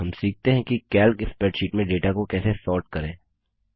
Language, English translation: Hindi, Let us now learn how to Sort data in a Calc spreadsheet